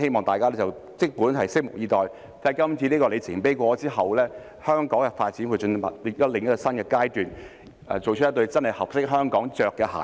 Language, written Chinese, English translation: Cantonese, 大家即管拭目以待，經過今次的里程碑之後，香港的發展會進入另一個新的階段，做出一對真的合適香港穿上的鞋子。, So let us just wait and see . After this milestone is achieved the development of Hong Kong will move into a new phase and a pair of shoes that genuinely fits Hong Kong well will then be made